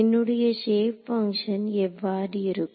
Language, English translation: Tamil, So, what are my shape functions like